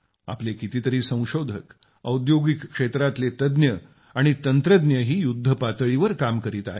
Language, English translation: Marathi, So many of our scientists, industry experts and technicians too are working on a war footing